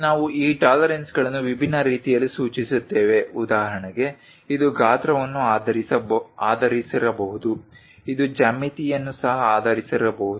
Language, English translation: Kannada, These tolerances we specify it in different ways for example, it can be based on size it can be based on geometry also